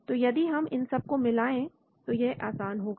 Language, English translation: Hindi, So if you superimpose all of them then it is easy